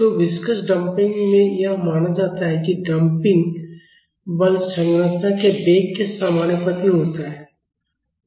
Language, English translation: Hindi, So, in viscous damping it is assumed that the damping force is proportional to the velocity of the structure